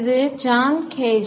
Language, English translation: Tamil, It is by John Gage